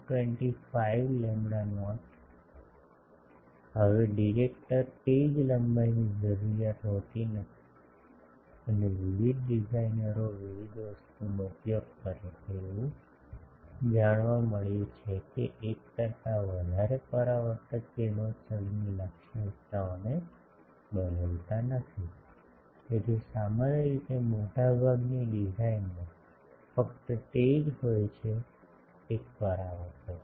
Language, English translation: Gujarati, 25 lambda not now the directors are not necessarily of the same length and dia various designers use different a thing and it has been found that more than one reflector does not change the radiation characteristics So, usually in most of the design there is only one reflector